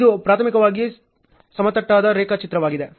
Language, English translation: Kannada, So, this is primarily a leveled diagram